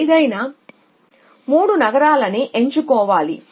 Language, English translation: Telugu, Any 3 cities you pick up any 3 cities